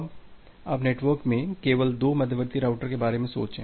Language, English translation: Hindi, Now, you just think of two intermediate routers here in the network